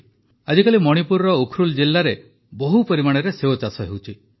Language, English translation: Odia, Nowadays apple farming is picking up fast in the Ukhrul district of Manipur